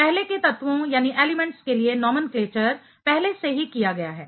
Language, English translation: Hindi, The nomenclature for the earlier elements are already done